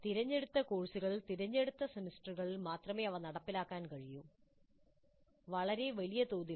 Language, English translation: Malayalam, They can be implemented only in selected semesters in selected courses, not on a very large scale